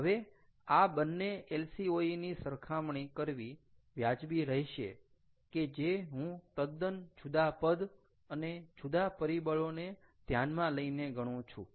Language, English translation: Gujarati, now is it fair to compare these two lcos that have been calculated completely in different terms, in using different factors